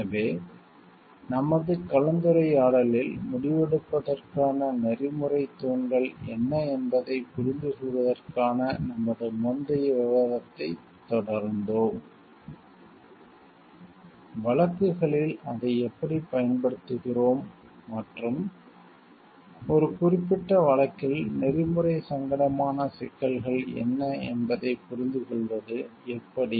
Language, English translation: Tamil, So, in this discussion today; we have continued with our earlier discussion of understanding what are the ethical pillars of decision making; how we apply that in cases and how we understand the what are the issues in a particular case the which are of ethical dilemma